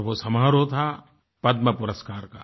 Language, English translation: Hindi, And the ceremony was the Padma Awards distribution